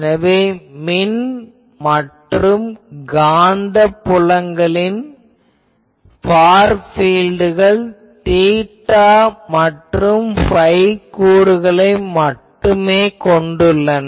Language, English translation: Tamil, So, we can say that the radiated electric and magnetic far fields have only theta and phi component